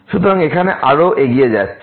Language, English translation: Bengali, So, here moving further